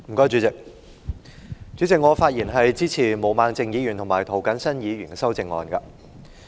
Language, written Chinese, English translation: Cantonese, 主席，我發言支持毛孟靜議員及涂謹申議員的修正案。, President I rise to speak in support of the amendments proposed by Ms Claudia MO and Mr James TO